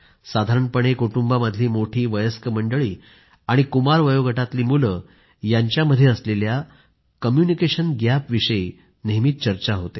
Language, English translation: Marathi, People generally talk of a communication gap between the elders and teenagers in the family